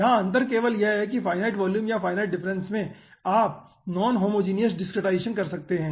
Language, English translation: Hindi, only aah difference over here is that in finite difference and volume you can go for non homogeneous discretization